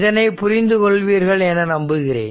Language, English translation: Tamil, So, hope you have understood hope you are understanding this